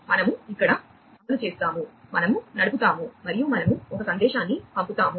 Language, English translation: Telugu, So, we execute over here, we run, and we send a message